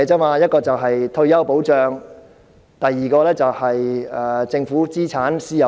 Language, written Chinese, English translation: Cantonese, 第一是退休保障，第二是政府資產私有化。, First it is about retirement protection and second it is about the privatization of Governments assets